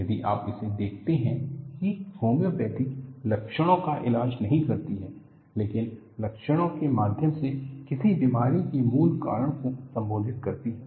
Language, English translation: Hindi, If you look at, homeopathy does not treat symptoms, but addresses the root cause of a disease through the symptoms